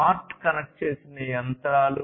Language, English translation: Telugu, Smart connected machines